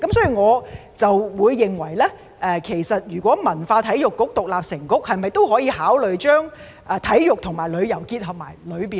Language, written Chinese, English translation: Cantonese, 所以，如果文化及體育局獨立成局，可否考慮把體育和旅遊納入其中呢？, So if the Culture and Sports Bureau is to become a separate bureau can we consider including sports and tourism into its portfolios?